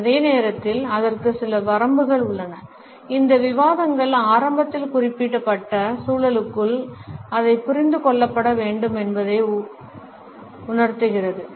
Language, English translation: Tamil, At the same time, there are certain limitations to it and these discussions should be understood within the context which has been specified in the very beginning